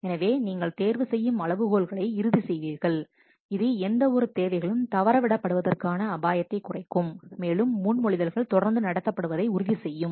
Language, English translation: Tamil, So if you will do you will finalize the selection criteria, this will reduce the risk of any requirements being missed and it will ensure that the proposals are treated consistently